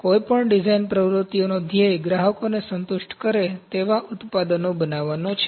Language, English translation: Gujarati, So, goals of any design activities are to create products that satisfy customers